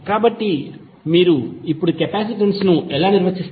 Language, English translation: Telugu, So, how you will define capacitance now